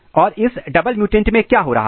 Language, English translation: Hindi, And in this double mutant what is happening